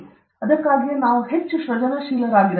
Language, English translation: Kannada, That’s why we need to be more creative